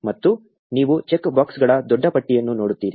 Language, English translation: Kannada, And you will see a big list of check boxes